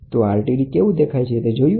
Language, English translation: Gujarati, This is how an RTD looks like